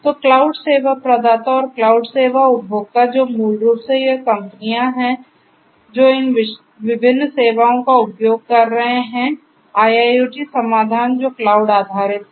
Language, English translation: Hindi, So, cloud service provider and the cloud service consumer who are basically this companies which are using these different services the IIoT solutions which are cloud based and so on